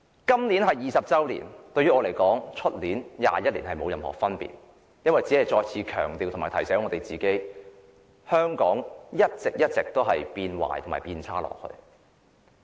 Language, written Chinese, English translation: Cantonese, 今年是回歸20周年，但我認為，今年與明年回歸21周年沒有任何分別，因為這只是再次強調及提醒我們，香港會一直變差。, This year marks the 20 anniversary of the reunification . To me there is no difference between this year and next year which will mark the 21 anniversary of the reunification . We are only reminded once again that Hong Kong will go from bad to worse